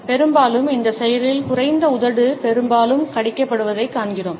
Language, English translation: Tamil, Often, we find that in this action it is the lower lip which is often bitten